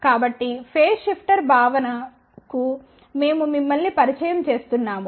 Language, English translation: Telugu, So, we just introduce you to the concept of phase shifter